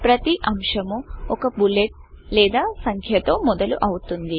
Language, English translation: Telugu, Each point starts with a bullet or a number